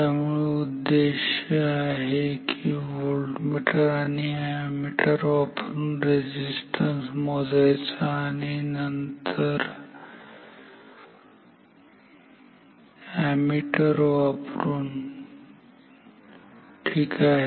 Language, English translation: Marathi, So, the goal is to measure resistance with a voltmeter and ammeter and then an ammeter ok